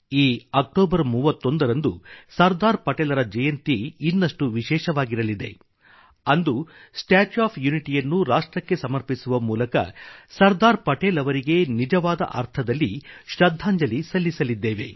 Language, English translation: Kannada, The 31st of October this year will be special on one more account on this day, we shall dedicate the statue of unity of the nation as a true tribute to Sardar Patel